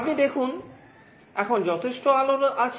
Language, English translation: Bengali, You see now there is sufficient light